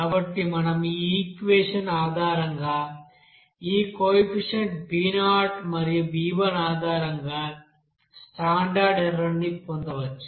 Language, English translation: Telugu, So we can obtain this standard error based on these coefficients b0 and b1 based on this equation